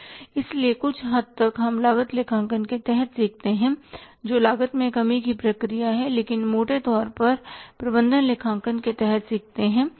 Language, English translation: Hindi, So, to some extent we learned under cost accounting that cost reduction process but largely we learned under management accounting